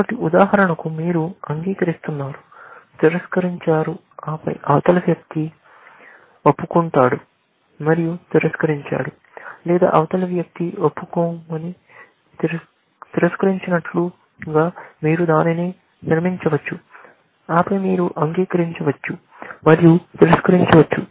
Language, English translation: Telugu, So, for example, you confess, deny, and then, the other person, confesses and denies, or you can construct it like the other person confesses and denies, and then, you confess and deny